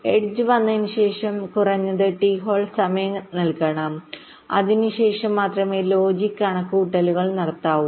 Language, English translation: Malayalam, so after the edge comes, a minimum amount of t hold time must be provided and only after that the logic calculations